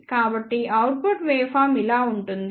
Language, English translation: Telugu, So, the output waveform will be like this